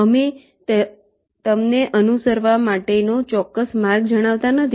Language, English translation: Gujarati, we do not tell you the exact route to follow